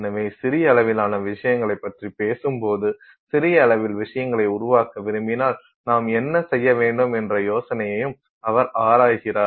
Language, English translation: Tamil, So, while his talk deals with a lot of things at the small scale, he also explores the idea of what should you do if you want to make things at the small scale